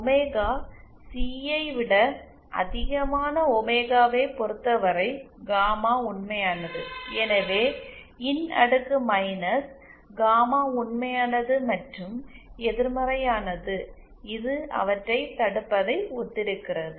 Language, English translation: Tamil, For omega greater than omega C, gamma is real and hence E to the power minus gamma is real and negative and this corresponds to stop them